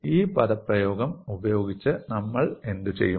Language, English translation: Malayalam, And what do you find in this expression